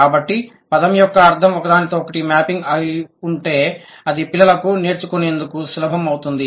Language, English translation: Telugu, So, if there is a one to one mapping of the meaning of the word, it becomes easier for child's acquisition